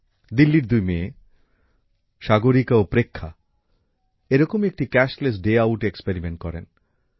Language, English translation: Bengali, Two daughters of Delhi, Sagarika and Preksha, experimented with Cashless Day Outlike this